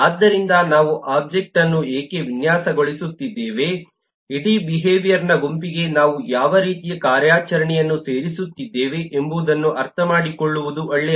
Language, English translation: Kannada, so why we are designing the object, it will be good to understand what kind of operation we are adding to the whole behavior set